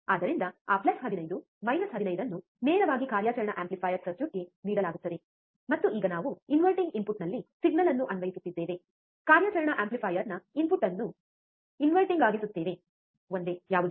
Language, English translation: Kannada, So, that plus 15 minus 15 is directly given to the operational amplifier circuit, and now we are applying the signal at the inverting input, inverting input of the operational amplifier, what was a single